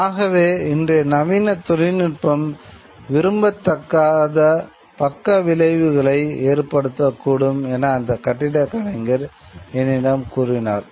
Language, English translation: Tamil, So this architect told me that modern day technology as it exists today has a lot of, may have a lot of undesirable side effects